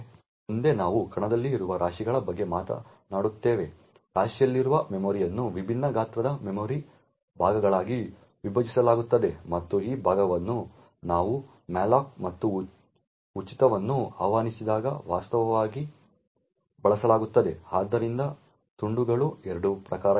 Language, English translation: Kannada, Next we will talk about heaps which are present in an arena the memory with in a heap is split into memory chunks of different sizes and these chunks are actually used when we invoke malloc and free, so the chunks are of 2 types one is known as allocated chunks and the other one is known as the free chunks